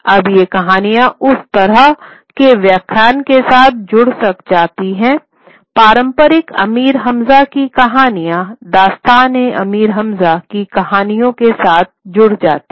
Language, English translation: Hindi, Now these stories, the similar kind of narratives, got involved with the traditional Amir Hamza stories, Dastana Amir Hamza stories